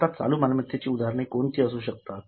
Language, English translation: Marathi, Now, what could be the examples of current assets